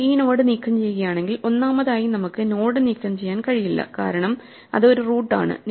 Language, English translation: Malayalam, If we remove this node, first of all we cannot remove the node because it is a root